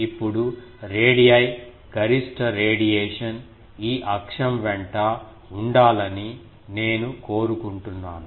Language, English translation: Telugu, Now, you see if I want that the radii maximum radiation should be along this axis